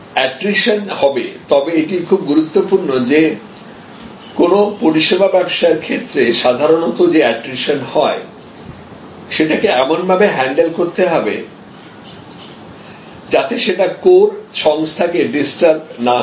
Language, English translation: Bengali, There will be attrition, but it is very important that in a service business, that usual attrition has to be handled in such a way, that it does not disturb the core of the organization